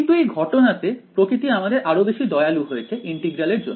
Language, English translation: Bengali, But in this case sort of nature has been even kinder to us the integral of